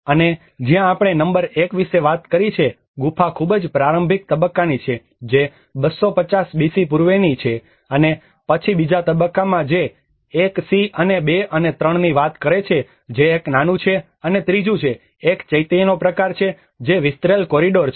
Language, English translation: Gujarati, \ \ And whereas where we talked about number 1 which is of a very rudimentary stage of a cave which is about dates back to pre 250 BC and then the phase II which talks about the 1c and 2 and 3 which is a smaller one and the third one is a kind of a Chaitya which is an elongated corridor